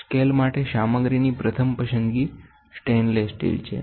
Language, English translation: Gujarati, The preferred choice of material for the scale is stainless steel